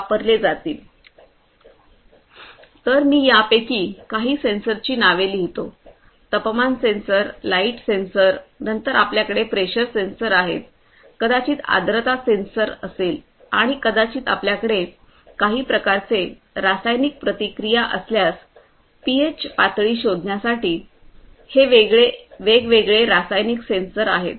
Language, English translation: Marathi, So, the names of some of these sensors, temperature sensor, light sensors, then you have pressure sensors, maybe humidity sensor and if you have some kind of chemical reactions these different chemicals chemical sensors for detecting maybe the pH level right